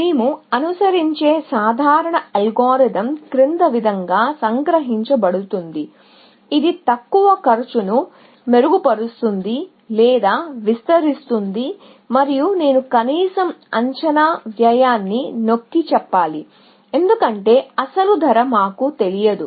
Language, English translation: Telugu, So, the general algorithm that we will follow can be abstracted as follows; that refines or extends the least cost, and I must emphasize least estimated cost, because we do not know the actual cost